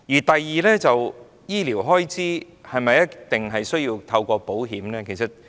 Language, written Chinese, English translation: Cantonese, 第二，醫療開支是否一定要透過保險來應付呢？, Second must we deal with medical expenses through insurance?